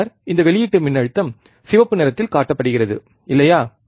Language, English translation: Tamil, And then this output voltage is shown in red colour, right